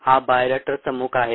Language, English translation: Marathi, that's exactly what a bioreactor is